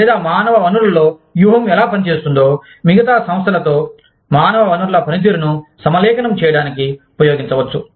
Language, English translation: Telugu, Or, how strategy in the human resources function, can be used to align, human resources functions, with the rest of the organization